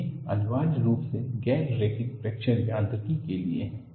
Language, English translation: Hindi, These are essentially meant for non linear fracture mechanics